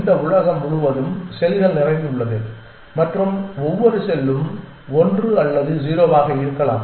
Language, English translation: Tamil, And that is about it this whole world is full of cells and each cell can be 1 or 0